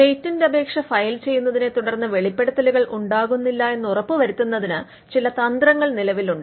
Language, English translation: Malayalam, Now, there are some strategies that exist to ensure that the disclosure does not proceed the filing of the patent application